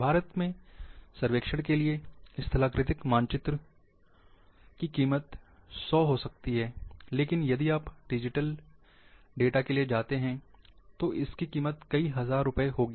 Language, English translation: Hindi, Say for survey of India topographical map may cost 100 rupees, but if you go for digital data, it would cost many thousand rupees